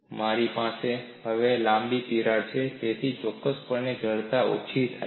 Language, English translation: Gujarati, I have a longer crack now, so definitely stiffness comes down